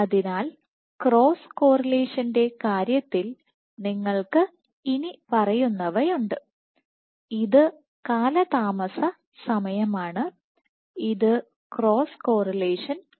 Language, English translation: Malayalam, So, in terms of cross correlation you have the following this is lag time and this is cross correlation